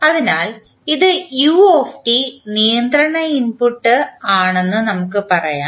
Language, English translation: Malayalam, So, let us say this is control is the input that is u t